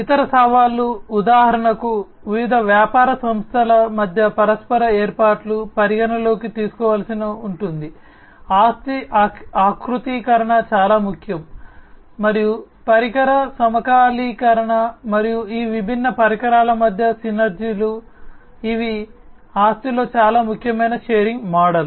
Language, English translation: Telugu, The other challenges are like for example, the mutual arrangements among the different business entities will have to be taken into consideration, asset configuration is very important, and the device synchronization, and the synergies between these different devices, these are very important in the asset sharing model